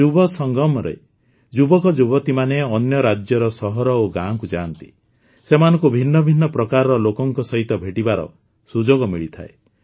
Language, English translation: Odia, In 'Yuvasangam' youth visit cities and villages of other states, they get an opportunity to meet different types of people